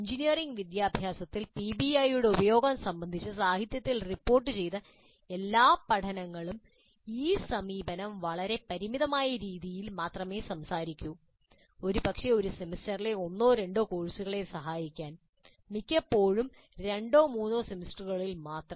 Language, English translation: Malayalam, All the case studies reported in the literature regarding the use of PBI in engineering education only talk of using this approach in a very very limited fashion, probably to help one or two courses in a semester, most often only in two or 3 semesters